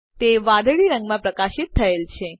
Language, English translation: Gujarati, It is highlighted in blue